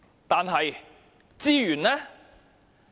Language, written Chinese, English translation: Cantonese, 但是，資源呢？, But how about the resources?